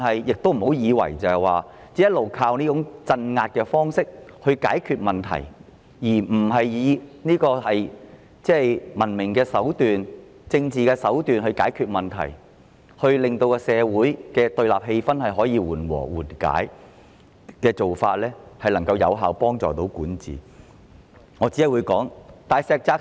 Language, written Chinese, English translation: Cantonese, 政府不要以為可以一直依靠這種鎮壓的方式來解決問題，而不採用文明及政治手段來解決問題，令社會的對立氣氛得以緩解，這樣才是有效的管治方式。, The Government should not be mistaken that it can always settle problems by relying on oppression rather than adopting a civilized and political approach to ease off the confrontational atmosphere in society which is the only effective way of governance